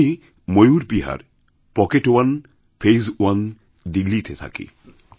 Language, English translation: Bengali, I reside in Mayur Vihar, Pocket1, Phase I, Delhi